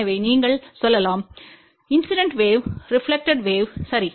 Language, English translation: Tamil, So, you can say incident wave reflected wave, ok